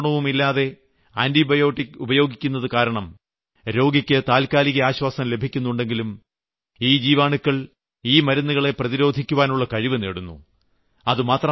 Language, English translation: Malayalam, Although random and rampant use of antibiotics gives immediate relief to the patient, but gradually the disease causing bacteria get accustomed to that drug